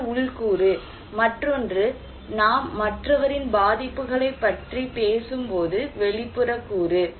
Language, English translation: Tamil, One is internal component, another one is external component when we are talking about someone's vulnerability